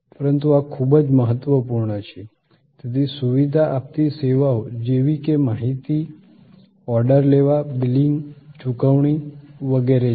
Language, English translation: Gujarati, So, facilitating services are like information, order taking, billing, payment, etc